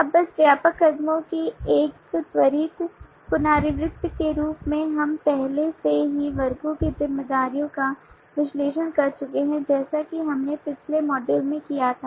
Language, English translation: Hindi, now just a quick recap of the broad steps as we have already analyzed the responsibilities of the classes like we did in the last module